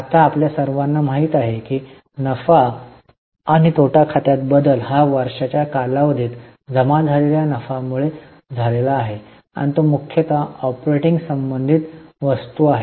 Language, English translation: Marathi, Now you all know that the change in the profit and loss account is due to the profit accumulated during the year and it is mainly the operating related item